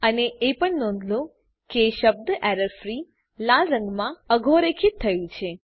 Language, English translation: Gujarati, Also notice that the word errorfreeis underlined in red colour